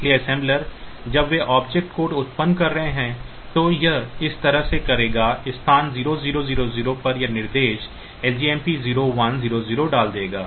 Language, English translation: Hindi, So, the assembler when they are generating the object code so, it will do it like this that at location 0 0 0 0 it will put the instruction LJMP 1000 and at location 0 1 0 0 onwards